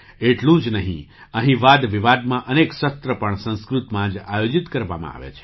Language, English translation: Gujarati, Not only this, many debate sessions are also organised in Sanskrit